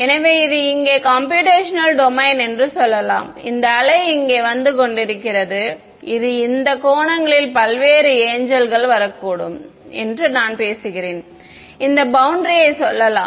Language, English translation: Tamil, So, let us say that this is my computational domain over here and this wave is coming over here may be it's coming at this angle whatever variety of different angels and I am talking about let us say this boundary